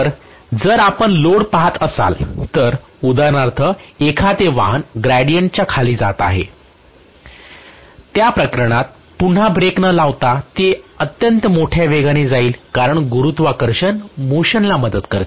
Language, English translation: Marathi, So if you are looking at load which is actually or the vehicle for example a vehicle is going down the gradient, in that case again, unless you put a brake it will just go in extremely large speed because gravity aids the motion